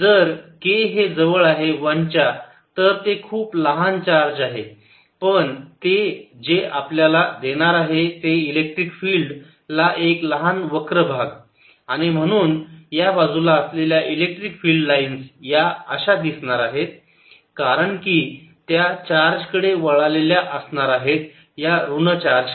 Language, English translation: Marathi, if k is close to one, it's a very small charge, but what it is going to give is little curvature to the electric field and therefore the electric field lines on this side are going to look like this because they are going to turn towards charge, the negative charge